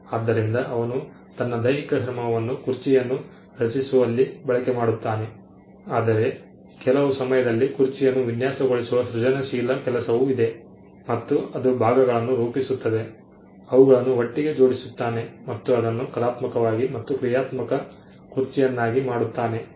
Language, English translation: Kannada, So, he exercises his physical labor in creating the chair, but at some point, there is also a creative labor that goes in designing the chair and it constituting the parts, bringing them together and making it into an aesthetically pleasing and a functional chair